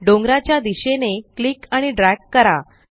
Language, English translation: Marathi, Now click and drag towards the mountain